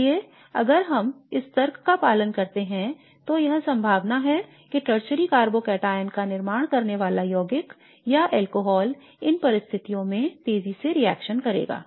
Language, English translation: Hindi, So if we follow this logic then it is likely that the compound or the alcohol that is going to produce a tertiary carbocateon will react faster under these conditions